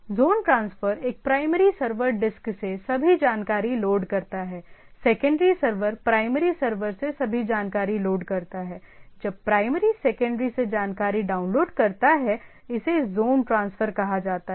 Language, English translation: Hindi, Zone transfer a primary server loads all the information from the disc, the secondary server loads all information from the primary server, when the primary downloads information from the secondary, it is called zone transfer